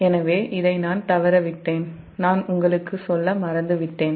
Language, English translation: Tamil, so this i missed it, i forgot to tell you